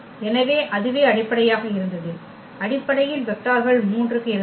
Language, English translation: Tamil, So, that was the basis so, the vectors in the basis were 3 there for r 3